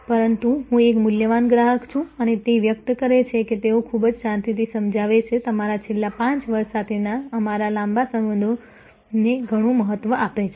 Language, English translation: Gujarati, But, I am a valuable customer and the express that they very calmly explain to be weak deeply value our long relationship with your last 5 years